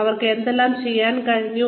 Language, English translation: Malayalam, What they have been able to do